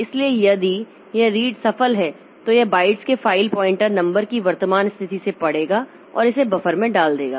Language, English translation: Hindi, So, if this read is successful it will read from the current position of this file pointer number of bytes and put it into the buffer